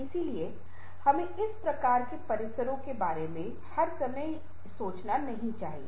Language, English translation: Hindi, so we should not be all the time thinking about these kinds of complexes